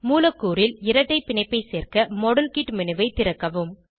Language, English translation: Tamil, To introduce a double bond in the molecule, open the model kit menu